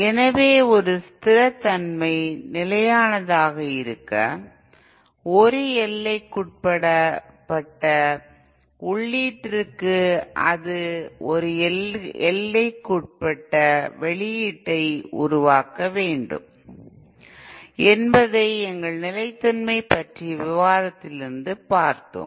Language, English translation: Tamil, So we will we saw from our discussion of stability that for a system to be stable, for a bounded input it should produce a bounded output